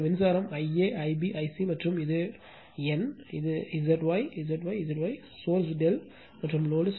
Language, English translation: Tamil, And this current I a, I b, I c right and this is capital N and this is Z y, Z y, Z y, source is delta and load is star